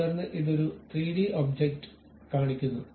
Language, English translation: Malayalam, Then it shows you a 3 dimensional object